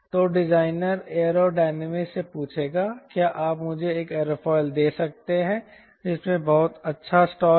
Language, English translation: Hindi, so designer will ask the aero dynamists: can you give me an aerofoil which has a very good stall characteristics